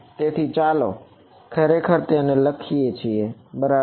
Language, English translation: Gujarati, So, let us actually write that down ok